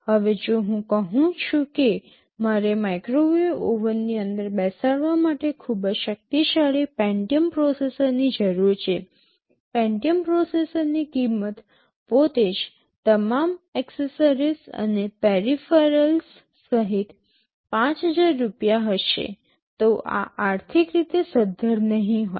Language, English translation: Gujarati, Now if I say that I need a very powerful Pentium processor to be sitting inside a microwave oven, the price of that Pentium processor itself will be 5000 rupees including all accessories and peripherals, then this will be economically not viable